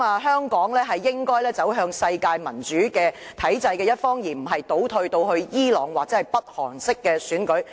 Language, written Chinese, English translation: Cantonese, 香港應該走向世界民主體制的一方，而非倒退至伊朗或北韓式的選舉。, Hong Kong should side with the world democracies instead of regressive to the Iranian or North Korean way of election